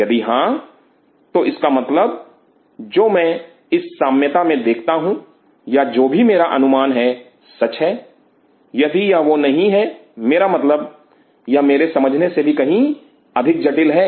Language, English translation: Hindi, If it does so that means, whatever I am seeing in this milieu or whatever is my guess is true, if it is not that it means it is much more complex than I am understanding